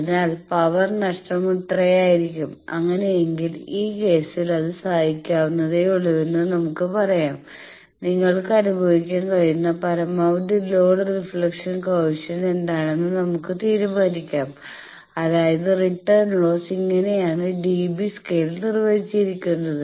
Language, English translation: Malayalam, So, power loss is this much that let us say tolerable in that case we can decide that what is the maximum load reflection coefficient you can suffer that means, return loss is defined as 10 log voltage reflection square magnitude square in dB scale